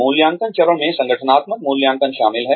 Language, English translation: Hindi, The assessment phase, includes organizational assessment